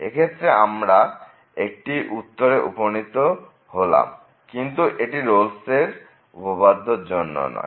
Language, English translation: Bengali, So, in this case it is reaching the conclusion, but this is not because of the Rolle’s Theorem